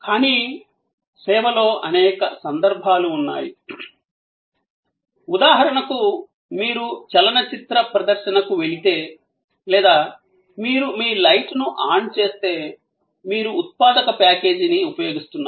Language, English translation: Telugu, But, in service, there are number of occasions, for example, if you go to a movie show or you switch on your light, you are using a productive package